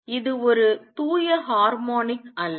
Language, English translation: Tamil, It is not a pure harmonic